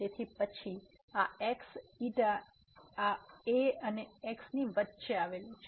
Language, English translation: Gujarati, So, then this the xi lies between this and